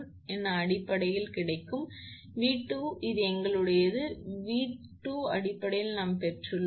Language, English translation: Tamil, And V 2 also we have got this one, V 2 also we have got in terms of this one